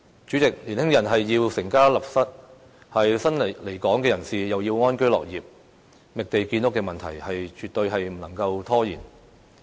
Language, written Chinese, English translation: Cantonese, 主席，年輕人要成家立室，新來港人士又要安居樂業，覓地建屋的問題絕對不能夠拖延。, President young people want to found their families and new arrivals want to live and work in contentment . The task of finding lands for housing construction purpose absolutely brooks no delay